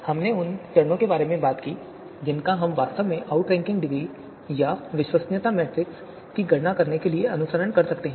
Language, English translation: Hindi, So we also in the previous lecture, we also talked about the steps that are going to be you know that we can actually follow to compute the outranking degree or credibility matrix